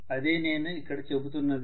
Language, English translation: Telugu, That is all I am saying